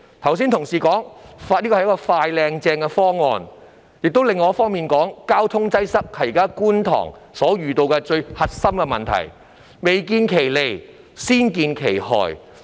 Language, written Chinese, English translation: Cantonese, 有同事剛才說這是一個"快、靚、正"的方案，但另一方面又說，交通擠塞是觀塘現時面對的最核心問題，未見其利，先見其害。, An Honourable colleague just now said that it was a swift smart and swell solution but on the other hand he also said that traffic congestion was the most crucial problem faced by Kwun Tong at present . Such a proposal will bring harm long before it brings benefits